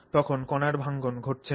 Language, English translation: Bengali, So, so then the breakdown of the particles is not happening